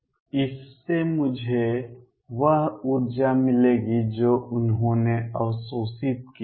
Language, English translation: Hindi, That will give me the energy that they absorbed